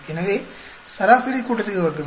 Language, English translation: Tamil, So, how do you get the mean sum of squares